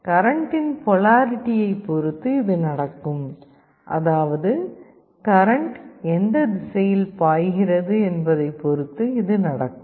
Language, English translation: Tamil, This will happen depending on the polarity of the current, which direction the current is flowing